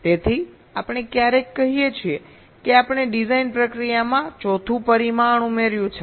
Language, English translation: Gujarati, so we sometime say that we have added a fourth dimension to the design process